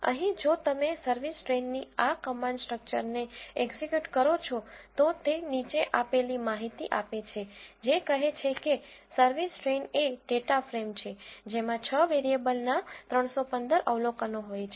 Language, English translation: Gujarati, Here, if you execute this command structure of service train, what it gives is the following information which says service train is a data frame which contains 315 observations of six variables